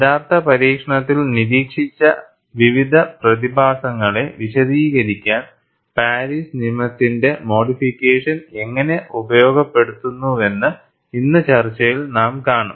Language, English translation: Malayalam, And now, we will see in the discussion today, how modifications of Paris law are utilized to explain various phenomena observed in actual experimentation